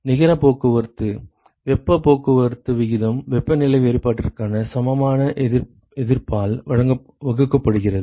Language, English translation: Tamil, Net transport, heat transport rate equal to temperature difference divided by resistance